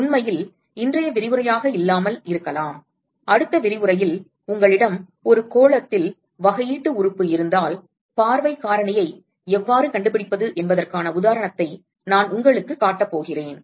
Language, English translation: Tamil, And in fact, may not be today’s lecture, next lecture we probably I am going to show you an example of how to how to find out the view factor if you have a differential element on a sphere